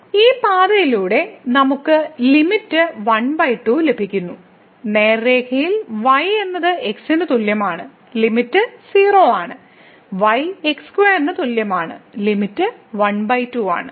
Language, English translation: Malayalam, So, along this path we are getting the limit half; along the straight line, is equal to , the limit is 0; along is equal to square, the limit is half